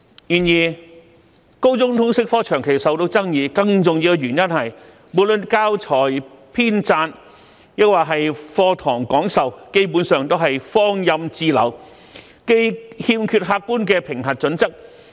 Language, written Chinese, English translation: Cantonese, 不過，高中通識科長期備受爭議，更重要的原因是教材編撰及課堂講授基本上是放任自流，欠缺客觀的評核準則。, Nevertheless the senior secondary LS subject has long been criticized and a more notable reason is that the compilation of teaching materials and classroom teaching are basically given free reins without objective assessment criterion